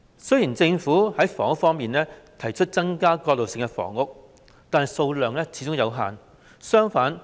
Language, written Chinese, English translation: Cantonese, 雖然在房屋方面，政府提出增加過渡性房屋，但數量始終有限。, How can the public accept it? . About housing although the Government has proposed to increase transitional housing its number has always been limited